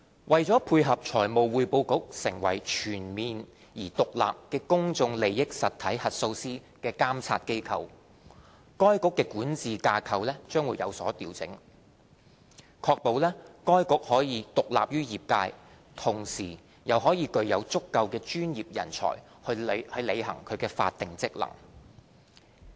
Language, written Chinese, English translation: Cantonese, 為配合財務匯報局成為全面而獨立的公眾利益實體核數師監察機構，該局的管治架構將有所調整，確保該局既獨立於業界，同時又具有足夠的專業人才以履行其法定職能。, In order to support the Financial Reporting Council to become a comprehensive and independent PIE auditor oversight body its governance structure will be readjusted so as to ensure that it is not only independent of the profession but also has sufficient professionals to discharge its statutory functions